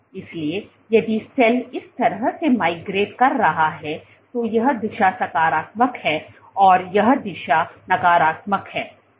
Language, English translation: Hindi, So, if the cell is migrating this way then this direction is positive and this direction is negative